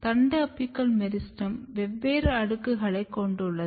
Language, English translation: Tamil, Another important thing the shoot apical meristem also has different layers